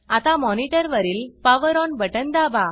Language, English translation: Marathi, Now, press the POWER ON button on the monitor